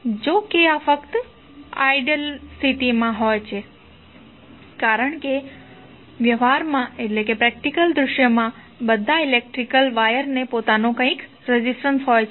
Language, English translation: Gujarati, So, that is basically the ideal condition, because in practical scenario all electrical wires have their own resistance